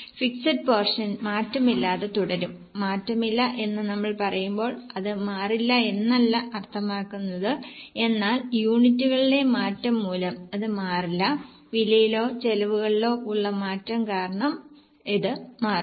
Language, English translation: Malayalam, Of course when we say unchanged it does not mean it will not change at all but it will not change because of changing units, it will change because of change in prices or costs